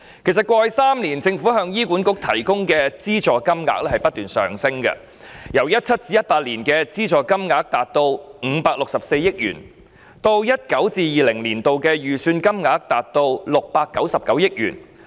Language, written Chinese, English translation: Cantonese, 過去3年，政府向醫管局提供的資助金額其實不斷上升，由 2017-2018 年度達564億元，上升至 2019-2020 年度的預算金額699億元。, Over the past three years the amount of government subsidies for HA has actually kept increasing . It has risen from 56.4 billion in 2017 - 2018 to 69.9 billion in the 2019 - 2020 estimate